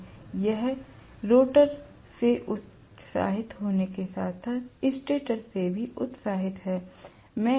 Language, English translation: Hindi, So it is excited from the stator as well as excited from the rotor